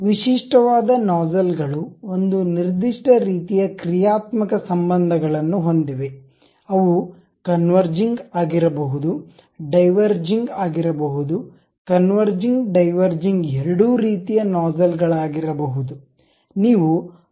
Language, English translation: Kannada, The typical nozzles have one particular kind of functional relations, they can be converging, they can be diverging, they can be both converging diverging kind of nozzles